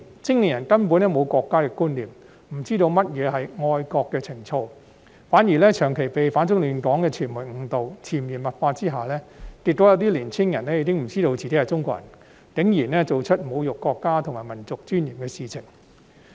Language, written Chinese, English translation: Cantonese, 青年人根本沒有國家的觀念，不知道何謂愛國情操，反而長期被反中亂港的傳媒誤導，在潛移默化下，結果有些年輕人已不知道自己是中國人，竟然做出侮辱國家及民族尊嚴的事情。, Young people did not have a sense of national identity at all and did not know what patriotism is . On the contrary they have been misled for a long time by the reports from media that aimed at opposing China and disrupting Hong Kong . Under such subtle influence some young people no longer knew they are Chinese and went so far as to commit acts which desecrate our country and national dignity